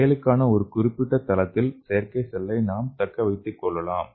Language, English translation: Tamil, And again we can retain the artificial cells at specific site for an action